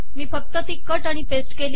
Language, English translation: Marathi, All I have done is to cut and to paste it here